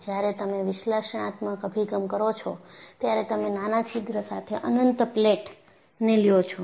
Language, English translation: Gujarati, So, when you are doing an analytical approach, you take an infinite plate with a small hole